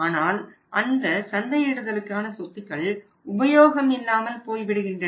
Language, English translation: Tamil, But in those marketing assets are marketing assets are becoming useless